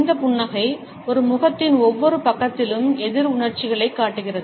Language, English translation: Tamil, This smile shows opposite emotions on each side of a face